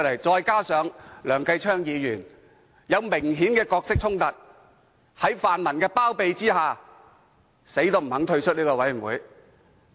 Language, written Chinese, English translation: Cantonese, 再者，梁繼昌議員有明顯的角色衝突，卻在泛民包庇下堅拒退出這個委員會。, Moreover Mr Kenneth LEUNG apparently has a conflict of roles but being shielded by the pan - democrats he has adamantly refused to withdraw from the Select Committee